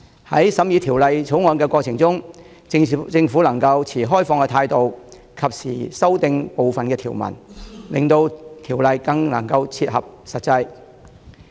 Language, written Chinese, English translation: Cantonese, 在審議《條例草案》的過程中，政府若能持開放態度，及時修訂部分條文，有助令條例更切合實際情況。, If the Government could be open - minded to timely amend certain provisions during the scrutiny of the Bill it would be conducive to making the ordinance better meet the actual situations